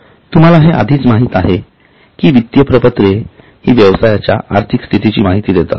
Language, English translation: Marathi, Now you already know that financial statements records or the provides information for about financial status